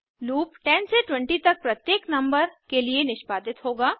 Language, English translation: Hindi, The loop will execute for every number between 10 to 20